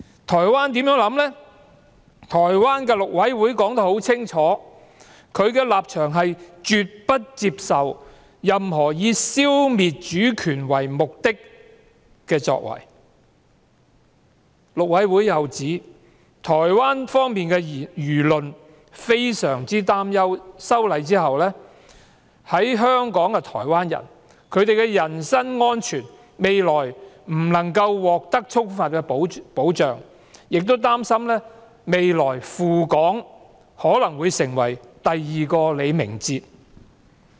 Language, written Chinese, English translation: Cantonese, 台灣的陸委會表明了立場，是絕不接受任何以消滅主權為目的的作為，陸委會又指台灣輿論非常擔憂修例後在港台灣人的人身安全不能獲得充分保障，亦擔心未來赴港的台灣人可能會成為第二個李明哲。, The Mainland Affairs Council MAC of Taiwan has made it clear that Taiwan will never accept any acts which intend to eliminate its sovereignty . Moreover MAC has said that the public in Taiwan are gravely concerned about the lack of protection for personal safety of Taiwanese people in Hong Kong after legislative amendment and that they may fall prey like LEE Ming - che in their future visits to Hong Kong